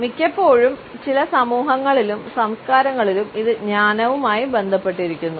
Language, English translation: Malayalam, Often we find that in certain societies and cultures, it may be associated with wisdom